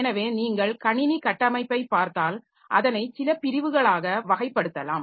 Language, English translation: Tamil, So, if you look into the computer system architecture so they can broadly be classified into a few classes